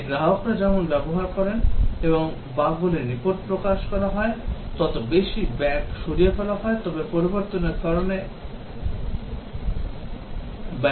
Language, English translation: Bengali, As it is used by the customers and bugs are reported, more bugs get removed but then bugs also are introduced due to the changes